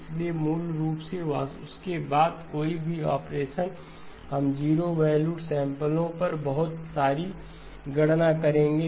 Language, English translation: Hindi, So basically any operation after that we will be doing a lot of competitions on zero valued samples